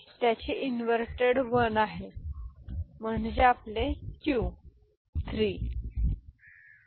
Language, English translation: Marathi, So, its inverted is 1 so that is your q3 ok